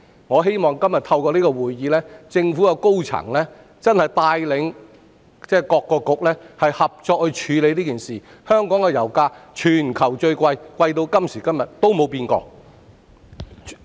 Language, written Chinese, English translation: Cantonese, 我希望透過今天這項質詢，政府高層可帶領各局合作處理這件事，因為香港的油價一直是全球最高，這情況直至今時今日都沒有改變。, I hope that through this question today senior government officials can lead various Bureaux to handle this issue . The pump price in Hong Kong has been the highest in the world and this situation has not changed so far